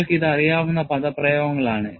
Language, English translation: Malayalam, These expressions you already know